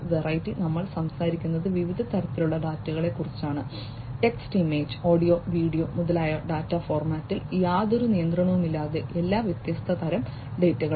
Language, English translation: Malayalam, Variety, we are talking about different varieties of data text, image, audio, video etcetera, etcetera all different types of data without any restriction about the data format